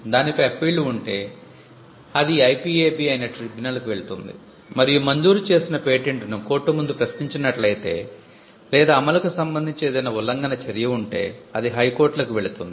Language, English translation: Telugu, If there are appeals over it, it goes to the tribunal which is the IPAB and if a granted patent is questioned before a court or if there is an action with regard to enforcement say infringement, it goes to the High Courts